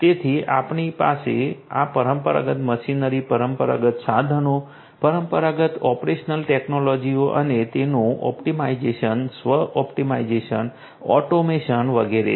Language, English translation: Gujarati, So, you have this traditional machinery, the traditional equipments, the traditional operational technologies and their optimization, self optimization, automation and so on